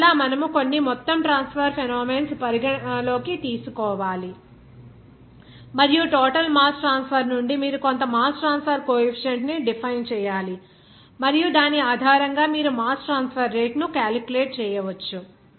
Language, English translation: Telugu, So, that is why that you have to consider some overall mass transfer phenomena and from that overall mass transfer you have to define some mass transfer coefficient and based on which you can calculate the mass transfer rate